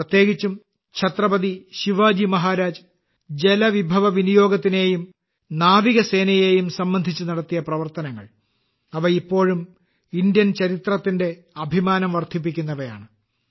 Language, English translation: Malayalam, In particular, the work done by Chhatrapati Shivaji Maharaj regarding water management and navy, they raise the glory of Indian history even today